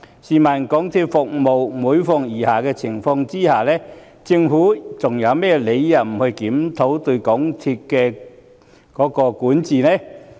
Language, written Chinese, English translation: Cantonese, 港鐵公司的服務每況愈下，試問政府還有甚麼理由不檢討對港鐵公司的管治呢？, MTRCLs services are deteriorating day after day . May I ask what grounds can be put forth by the Government for rejecting a review of MTRCLs governance?